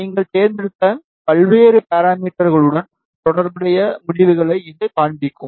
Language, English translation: Tamil, It will show you the results corresponding various parameters, which you have chosen